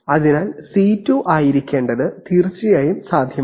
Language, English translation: Malayalam, So it is indeed possible to have, for C2 to have to be